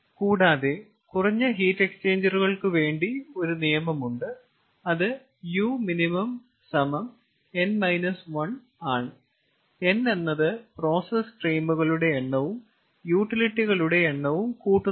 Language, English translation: Malayalam, there is a rule that minimum number of heat exchanger, u minimum, that is n minus one, where n is the number of process things plus number of utilities